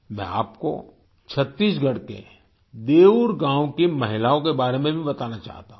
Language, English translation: Hindi, I also want to tell you about the women of Deur village of Chhattisgarh